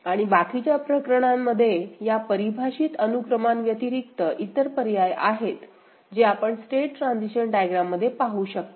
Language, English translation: Marathi, And the rest of the cases other options other than this defined sequence is there in the other path that you see in the state transition diagram ok